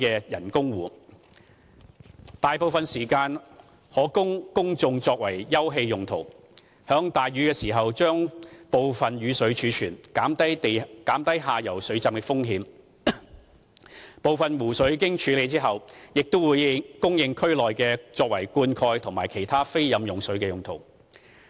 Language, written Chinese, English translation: Cantonese, 該人工湖大部分時間可供公眾作為休憩用途，在大雨時將部分雨水儲存，減低下游水浸的風險，而部分湖水經處理後，會供區內作灌溉及其他非飲用用途。, Most of the time this artificial lake will serve as an open space for the public and during rainy days it can store some rainwater so as to reduce flood risks in the lower areas; some of the lake water after treatment will be provided to nearby districts for irrigation and other non - potable purposes